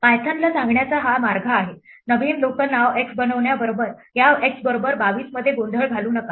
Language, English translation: Marathi, This is the way of telling python, do not confuse this x equal to 22 with creation of a new local name x